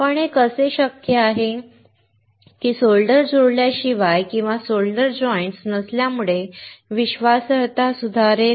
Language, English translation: Marathi, But how is it possible that without having solder joints or not having solder joints will improve reliability